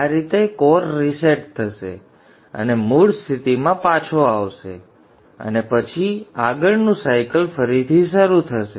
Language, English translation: Gujarati, So in this way the core will reset and will be brought back to the original status and then the next cycle will start again